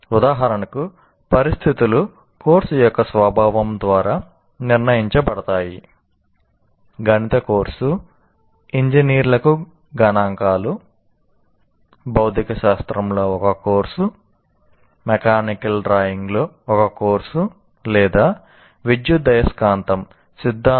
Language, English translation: Telugu, Obviously a mathematics course looking at, let us say, statistics for engineering, or a course in physics, or a course in mechanical drawing, or an electromagnetic theory course